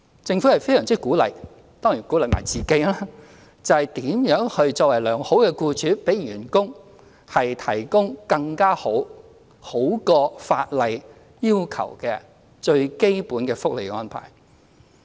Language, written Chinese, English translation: Cantonese, 政府非常鼓勵企業——當然也鼓勵自己——考量如何作為良好僱主，為員工提供更佳、較法例要求的基本福利更好的安排。, The Government greatly encourages enterprises―and itself of course―to consider how they can become good employers providing employees with more desirable arrangements that are better than the basic benefits required by the law